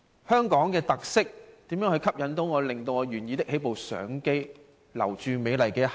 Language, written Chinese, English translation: Cantonese, 香港究竟有甚麼特色可以吸引我，令我願意拿起相機留住美麗的一刻？, What special features does Hong Kong have that compel me to pick up my camera and capture the beautiful moment?